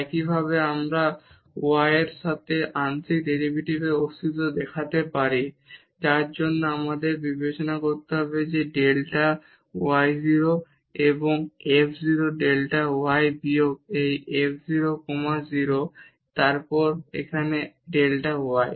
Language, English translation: Bengali, Similarly we can show the existence of partial derivative with respect to y for that we have to consider the delta y goes to 0 and f 0 delta y minus this f 0 comma 0 and then here delta y